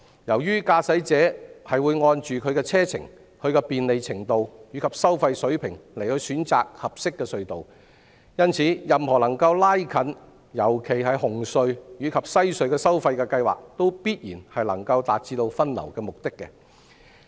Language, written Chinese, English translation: Cantonese, 由於駕駛者會按其車程、便利程度和收費水平選擇合適隧道，因此，任何能夠拉近特別是紅隧和西隧收費的計劃，也必然能夠達致分流的目的。, Given that a motorist will choose the suitable tunnel after taking into account the driving distance level of convenience and toll level any proposal which will bring the toll levels of the tunnels concerned particularly those between CHT and WHC can naturally achieve the goal of rationalizing the traffic distribution among the three tunnels